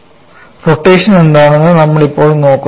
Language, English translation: Malayalam, And now we look at what is rotation